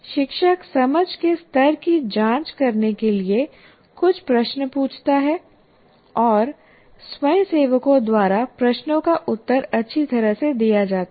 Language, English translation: Hindi, Teacher asks some questions to check understanding and the questions are answered well by the volunteers